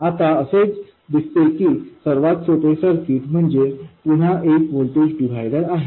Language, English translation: Marathi, It turns out that the simplest circuit is again a voltage divider